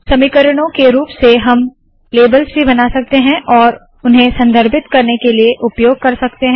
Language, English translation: Hindi, As in equations, we can also create labels and use them for referencing